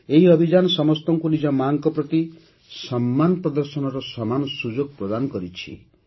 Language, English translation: Odia, This campaign has provided all of us with an equal opportunity to express affection towards mothers